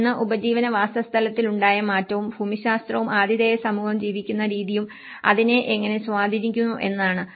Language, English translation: Malayalam, One is the change in the livelihood settlement and how it is influenced by the geography and the way host community is lived